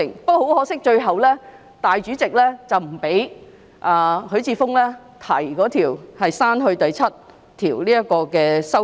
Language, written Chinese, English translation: Cantonese, 不過，很可惜，最後主席不批准許智峯議員提出刪去第7條的修正案。, However it is most regrettable that the President ultimately did not allow Mr HUI Chi - fung to propose his amendment on the deletion of clause 7